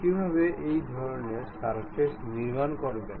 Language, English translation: Bengali, How to construct such kind of surfaces